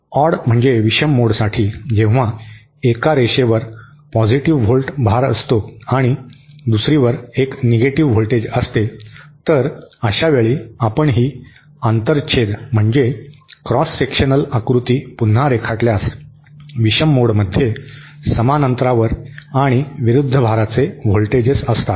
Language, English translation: Marathi, For the odd mode, when one line has is charged at a positive volt and the other one is that a negative voltage, then the, so in this case if we redraw this cross sectional diagram, in the odd mode means one is at a distance, each are at a equal and opposite voltages